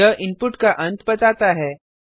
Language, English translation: Hindi, It denotes the end of input